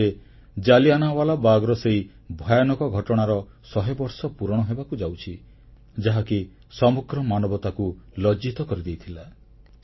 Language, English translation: Odia, In the year 2019, 100 years of the horrific incident of Jallianwala Bagh will come to a full circle, it was an incident that embarrassed the entire humanity